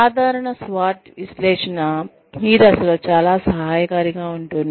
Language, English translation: Telugu, The typical SWOT analysis, will be very helpful, at this stage